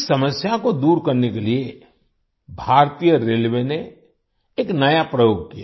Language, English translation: Hindi, To overcome this problem, Indian Railways did a new experiment